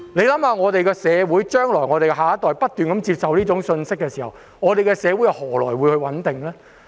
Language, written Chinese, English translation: Cantonese, 當我們的下一代不斷接收這種信息，社會又何來穩定呢？, When our next generation keeps receiving this kind of message how can our society be stable?